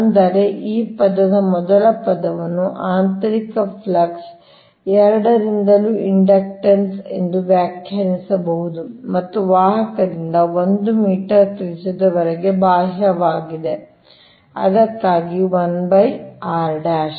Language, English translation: Kannada, first term can be defined as the inductance due to both the internal flux and that external to the conductor, to a radius up to one meter only